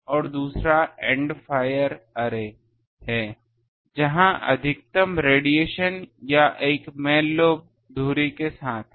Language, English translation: Hindi, And another is end fire array where the maximum radiation or a main lobe is along the axis